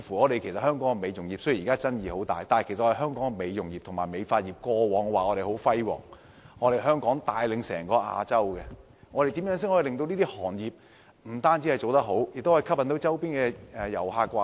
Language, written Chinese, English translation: Cantonese, 雖然香港美容業現時有很多爭議，但本地的美容業及美髮業過往成績輝煌，帶領整個亞洲，怎樣令這些行業發揮所長，吸引周邊的遊客來港？, Although the beauty industry in Hong Kong has aroused many disputes in recent years our beauty and hair industries had great achievements in the past and played a leading role in the whole Asian area . How can we tap into the strengths of these industries to attract visitors from the neighbouring areas?